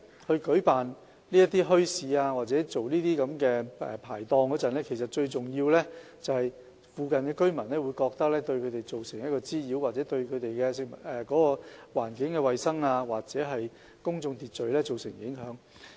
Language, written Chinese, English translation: Cantonese, 在舉辦墟市或設立排檔時，附近居民很多時候都會覺得，這樣做會對他們造成滋擾或對環境衞生、公眾秩序造成影響。, In holding bazaars or setting up hawker stalls the residents nearby very often think that nuisance will be caused and environmental hygiene and public order be affected